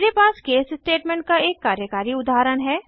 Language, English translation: Hindi, I have declared an case statement in this example